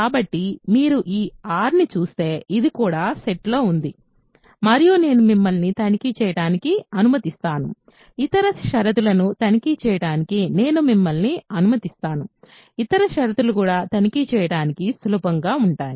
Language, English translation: Telugu, So, this is also in the set if you call this R R and I will let you to check; I will let you check the other conditions, other conditions are easy to check also